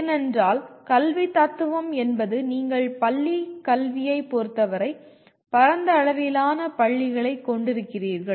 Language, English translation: Tamil, Because the educational philosophy is you have wide range of schools when it comes to school education